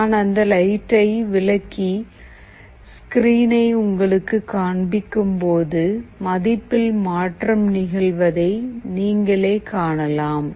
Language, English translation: Tamil, I will take away the light and I will show you the screen, where the value changes now you see